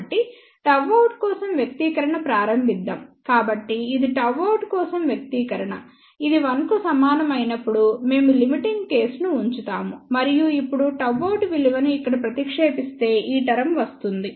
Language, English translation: Telugu, So, let us start with an expression for gamma out so, this is the expression for gamma out, we put the limiting case when this is equal to 1 and now substituting the value of gamma out over here so, this is the term